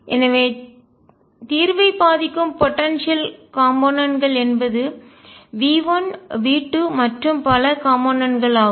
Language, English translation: Tamil, So, the potential components that affect the solution are the components V 1 V 2 and so on